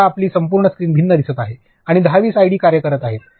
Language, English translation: Marathi, Now, your entire screen looks different and there are like 10 20 id’s working